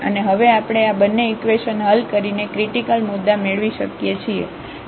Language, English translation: Gujarati, And the critical points we can now get by solving these 2 equations